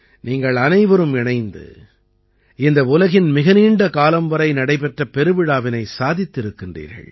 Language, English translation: Tamil, All of you together have made it one of the longest running festivals in the world